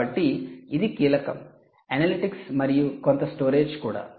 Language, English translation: Telugu, so this is key analytics and maybe some storage